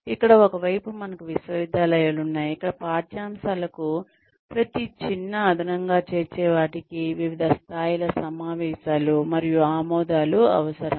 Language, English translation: Telugu, Where, on the one hand, we have universities, where every minor addition to the curriculum requires, various levels of meetings and approvals